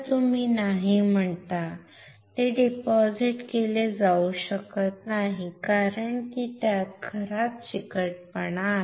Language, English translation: Marathi, You say no, it cannot be deposited because it has a poor adhesion